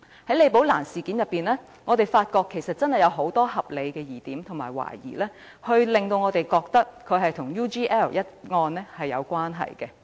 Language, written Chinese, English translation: Cantonese, 從李寶蘭事件，我們發現真的有很多合理疑點和懷疑，令我們認為此事與 UGL 一案有關。, Since there are really so many reasonable doubts and queries concerning the Rebecca LI incident we do think that it must have something to do with the UGL incident